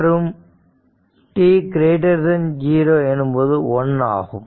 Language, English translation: Tamil, So, this is minus t 0 right